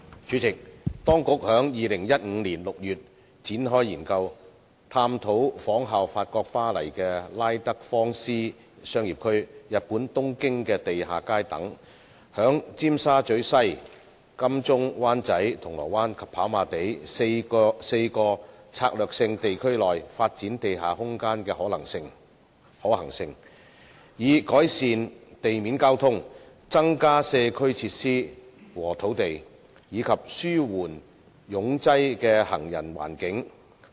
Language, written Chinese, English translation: Cantonese, 主席，當局在2015年6月展開研究，探討仿效法國巴黎的拉德芳斯商業區、日本東京的地下街等，在尖沙咀西、金鐘/灣仔、銅鑼灣及跑馬地4個策略性地區內發展地下空間的可行性，以改善地面交通、增加社區設施和土地，以及紓緩擁擠的行人環境。, President the authorities launched a study in June 2015 to examine the feasibility of modelling after the business district of La Défense in Paris France and the underground streets in Tokyo Japan etc . to develop underground space in four Strategic Urban Areas SUAs namely Tsim Sha Tsui West AdmiraltyWan Chai Causeway Bay and Happy Valley with a view to improving road traffic providing more community facilities and land as well as alleviating the overcrowded pedestrian environment